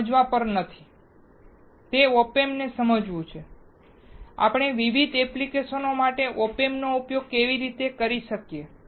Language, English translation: Gujarati, It is to understand Op Amps, how we can use Op Amps for different applications